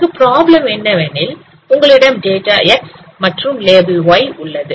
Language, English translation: Tamil, So the problem here is that you have X data and Y level